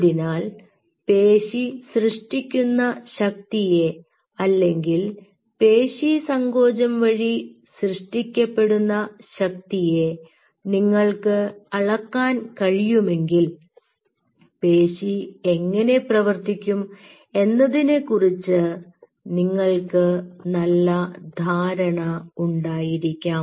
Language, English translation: Malayalam, so if you could measure the force or contractile force generated by the muscle, then you could have a fairly good idea about how the muscle will behave